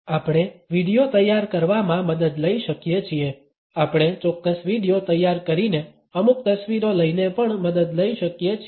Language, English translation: Gujarati, We can take the help of the preparation of videos; we can take the help by preparing certain videos, by taking certain photographs also